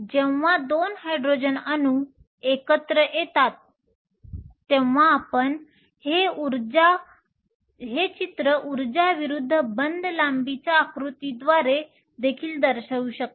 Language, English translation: Marathi, So, its favorable to form H 2 when 2 Hydrogen atoms come together you can also show this diagram by means of an energy versus bond length diagram